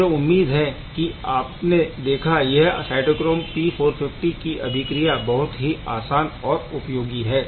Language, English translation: Hindi, I hope you are able to see that these reactions of cytochrome P450 are very very simple, yet very effective